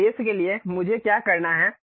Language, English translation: Hindi, For that purpose what I have to do